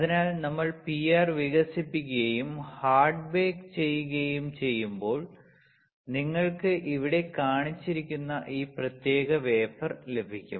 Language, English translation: Malayalam, So, when we do PR developing and hard bake; you get this particular wafer which is shown right over here